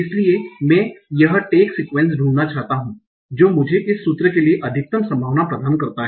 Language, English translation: Hindi, So I want to find a tag sequence that gives me the maximum probability for this particular formula